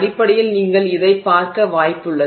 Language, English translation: Tamil, So, that is basically what you start seeing